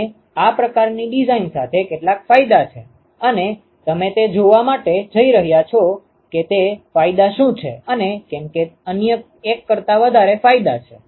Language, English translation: Gujarati, And there are some advantages with this kind of design and we are going to see what those advantages are and why it is advantages over the other one